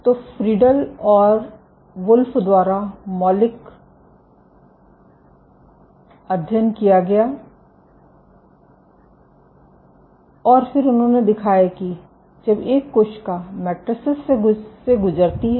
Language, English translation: Hindi, So, there has been seminal study by Friedl and Wolf and then they showed that when a cell migrate through matrices